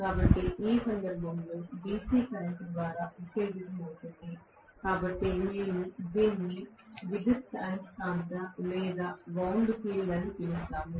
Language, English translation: Telugu, So, in which case, it is going to be excited by DC current, so we call this as an electromagnetic or wound field